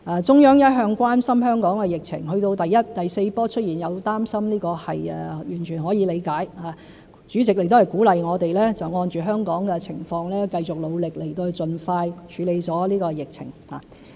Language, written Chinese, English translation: Cantonese, 中央一向關心香港的疫情，到第四波疫情出現，有擔心是完全可以理解的，主席亦鼓勵我們按着香港的情況繼續努力，盡快處理好疫情。, The Central Authorities are always concerned about the epidemic in Hong Kong . Given the outbreak of the fourth wave of the epidemic their worries are completely understandable . The President of the State has also encouraged us to keep up with our efforts in the light of the situation in Hong Kong so as to tackle the epidemic as soon as possible